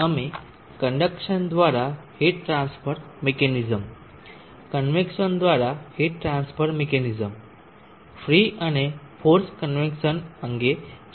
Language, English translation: Gujarati, We had discussed heat transfer mechanism by conduction, heat transfer mechanism by convection free and forced convection